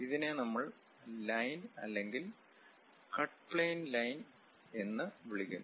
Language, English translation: Malayalam, And this one what we call line, cut plane line and this one is called cut plane